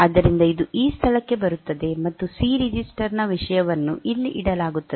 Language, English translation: Kannada, So, it will come to this location, and the content of C register will be put here